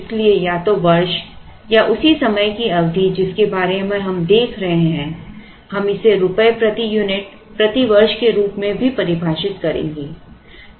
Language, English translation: Hindi, So, either year, or the same time period that we are taking about since we are looking at year here we would also define this as year rupees per unit per year